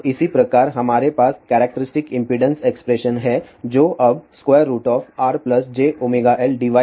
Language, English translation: Hindi, Now, similarly we have characteristic impedance expression which is now, R plus j omega L divided by G plus j omega C